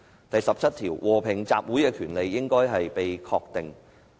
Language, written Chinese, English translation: Cantonese, 第十七條訂明："和平集會之權利，應予確定。, Article 17 stipulates The right of peaceful assembly shall be recognized